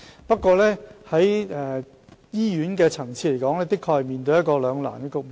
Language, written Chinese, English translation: Cantonese, 不過，醫院的確面對一個兩難的局面。, However hospitals are really caught in a dilemma